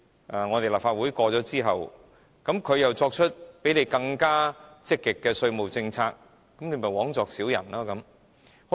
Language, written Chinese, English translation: Cantonese, 如果立法會通過之後，它們又作出比香港更積極的稅務政策，這不是枉作小人了嗎？, What if they provide some more aggressive concessions after the Council endorses the proposed tax regime . Will this not render our efforts fruitless then?